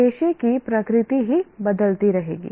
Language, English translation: Hindi, The nature of profession itself will keep changing